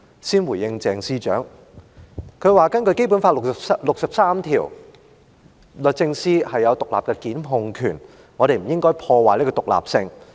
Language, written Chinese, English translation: Cantonese, 先回應鄭司長，她說根據《基本法》第六十三條，律政司有獨立檢控權，我們不應該破壞這種獨立性。, I respond to Secretary CHENGs first . She said that the Department of Justice DoJ has independent prosecution powers under Article 63 of the Basic Law and we should not undermine this independence